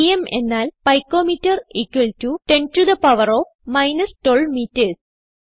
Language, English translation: Malayalam, pm is pico metre= 10 to the power of minus 12 metres